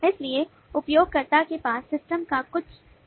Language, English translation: Hindi, so the user has certain view of the system